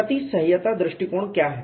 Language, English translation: Hindi, What is the approach of damage tolerance